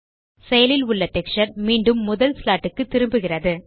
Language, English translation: Tamil, The active texture moves back to the first slot